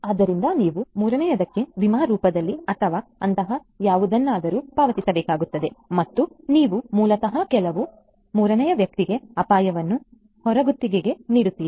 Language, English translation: Kannada, So, you have to pay some money to the third body in the form of insurance or something like that and that is how you basically outsource the risk to some third party